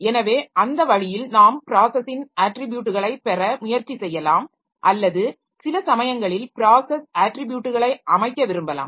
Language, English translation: Tamil, So that way we can try to get the attributes of the process or sometimes we may want to set the process attributes